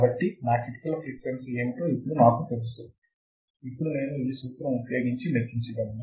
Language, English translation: Telugu, So, now, I know; what is my critical frequency I can calculate critical frequency using this particular formula